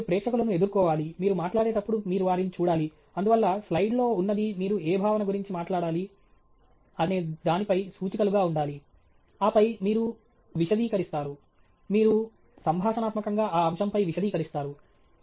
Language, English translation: Telugu, You should face the audience, you should look at them as you talk, and so, what is there on the slide should simply be pointers on what concept you need to talk about, and then you elaborate you conversationally elaborate on that point